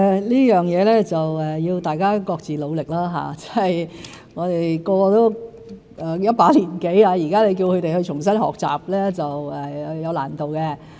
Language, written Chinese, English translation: Cantonese, 這方面需要大家各自努力，我們各人也一把年紀，若現在要重新學習是有難度。, This hinges on our concerted efforts . As we all are advanced in age it will be difficult for us to study afresh now